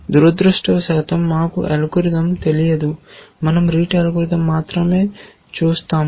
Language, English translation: Telugu, Unfortunately we do not know the algorithm, we will only look at the rete algorithm